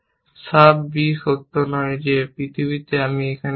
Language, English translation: Bengali, Clear b is not true in the world that I have here